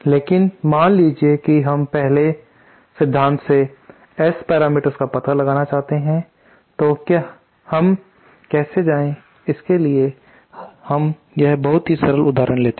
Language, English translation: Hindi, But suppose we want to find out the S parameters from first principles then how do we go so let us take a very simple simple example